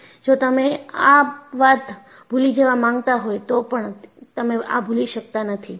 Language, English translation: Gujarati, So, you, even if you want to forget, you cannot forget this